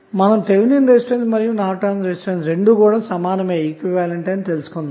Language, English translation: Telugu, So, Norton's resistance and Thevenin resistance would be same